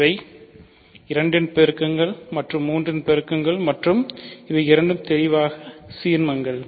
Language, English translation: Tamil, So, these are multiples of 2 and these are multiples of and both of these are clearly ideals ok